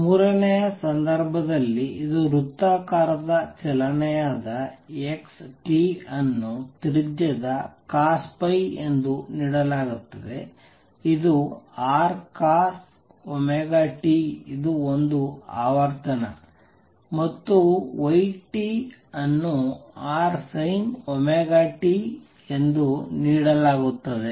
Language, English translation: Kannada, In the third case where this is the circular motion x t would be given as the radius R cosine of phi which is R cosine of omega t this is one frequency, and y t will be given as R sin of omega t